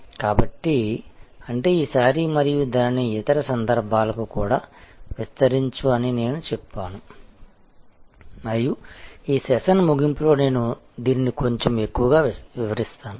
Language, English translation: Telugu, So, which means this time and I would say expand it also to the contexts and I will explain this a little bit more toward the end of this session